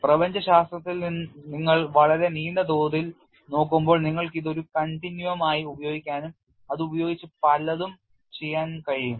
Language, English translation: Malayalam, When you are looking at a very long scale in cosmology, you can use it as a continuum and play with it